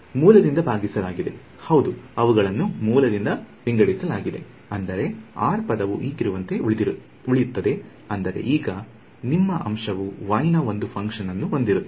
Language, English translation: Kannada, Yeah they are divided by root I mean the r term will remain as it is now your numerator will have one function of y